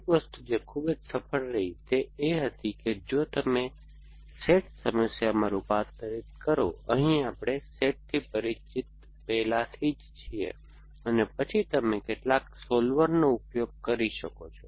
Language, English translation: Gujarati, So, one thing that was very successful was that if you converted into a S A T problem and we already familiar with S A T and then you could use some solver